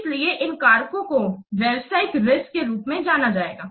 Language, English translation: Hindi, So, these factors will be termed as a business risk